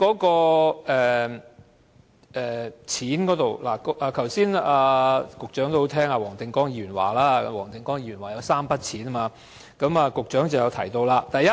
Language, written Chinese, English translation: Cantonese, 金錢補償方面，局長剛才很聽黃定光議員的話，黃定光議員提及3筆錢，局長便予以回應。, Regarding monetary compensation Mr WONG Ting - kwong mentioned three sums of money and the Secretary who has paid good attention to Mr WONGs speech has responded